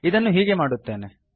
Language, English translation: Kannada, Let me do it as follows